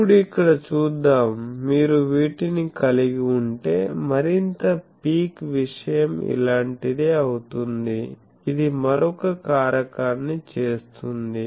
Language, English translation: Telugu, Let us look here that if you have these the more picky thing will be something like this make another factor that will be something like this